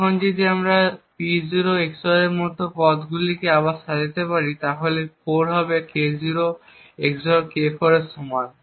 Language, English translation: Bengali, Now if we just rearrange the terms we have like P0 XOR would be 4 to be equal to K0 XOR K4